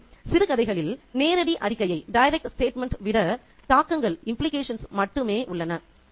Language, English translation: Tamil, So, there are only implications rather than direct statements in short stories